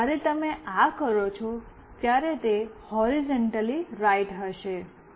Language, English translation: Gujarati, And when you do this, it will be horizontally right